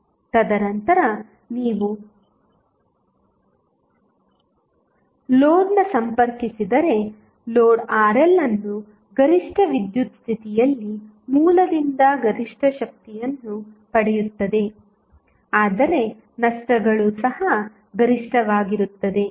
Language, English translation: Kannada, And then if you connect the load Rl at maximum power condition, although the load will receive maximum power from the source, but losses will also be maximum